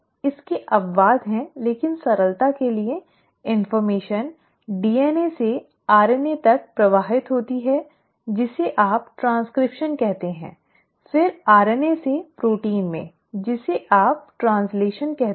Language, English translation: Hindi, There are exceptions to it but by and large for simplicity's sake, the information flows from DNA to RNA which is what you call as transcription; then from RNA into protein which is what you call as translation